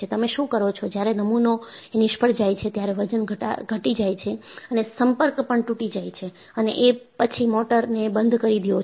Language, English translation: Gujarati, And, what you do is, when the specimen fails, the weights drop of and the contact is broken and this, switches of the motor